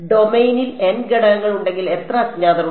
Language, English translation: Malayalam, If there are n elements in the domain how many unknowns are there